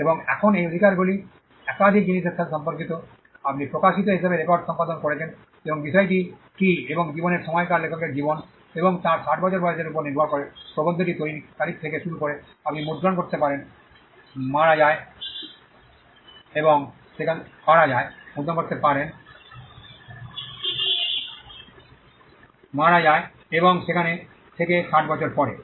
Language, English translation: Bengali, And now these rights pertain to multiple things, you can print as I said published perform record and depending on what the subject matter is and the duration of life is life of the author and plus 60 years so, from the date of creation till the author dies and 60 years from there on